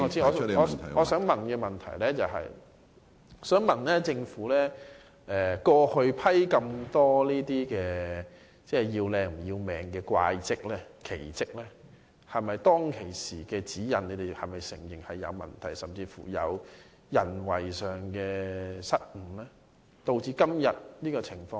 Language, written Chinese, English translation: Cantonese, 我的補充質詢就是，政府過去批出這麼多"要靚唔要命"的"怪則"、"奇則"，你們會否承認當時的指引是有問題的，甚至是因人為失誤，而導致今天這種情況？, The Government has approved so many bizarre architectural designs that emphasize visual beauty at the expense of safety . Will it admit that the guidelines issued back then were problematic? . Will it even admit that the present situation is the result of a human error?